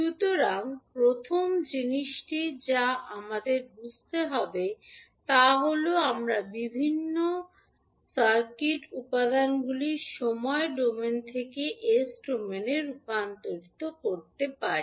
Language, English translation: Bengali, So, first thing which we have to understand is that how we can convert the various circuit elements from time domain into s domain